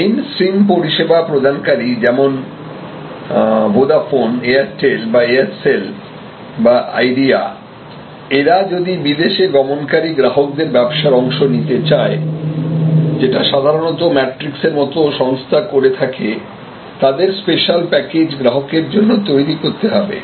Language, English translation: Bengali, So, the main stream service providers like Vodafone or Airtel or Aircel or if they want to, Idea, they want to capture this part of their business, which is normally taken away by people like matrix and others, then they create this special package